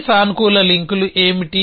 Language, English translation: Telugu, What are these positive links going to be